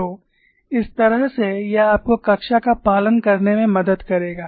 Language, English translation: Hindi, So, that way this will help you to follow the class